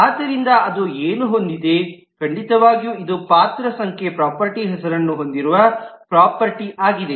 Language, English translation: Kannada, So what it has certainly this is role number is a property which has a property name